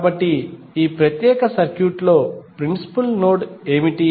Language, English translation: Telugu, So, what are the principal node in this particular circuit